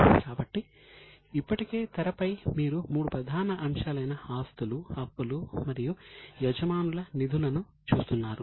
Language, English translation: Telugu, So, already on the screen you are seeing three major elements, assets, liabilities and owners funds